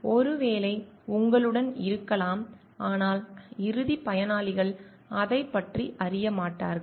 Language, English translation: Tamil, Probably is there with you, but the ultimate beneficiaries do not come to know about it